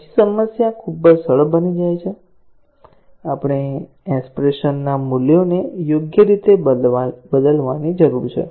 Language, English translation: Gujarati, Then, the problem becomes very simple; we need to just substitute the values appropriately into the expression